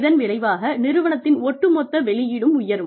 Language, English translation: Tamil, As a result, the overall output of the organization, will go up